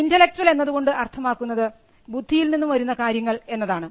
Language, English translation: Malayalam, When we mean intellectual, we referred to things that are coming out of our intellect